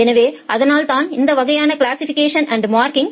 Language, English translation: Tamil, Then we do something called a classification and marking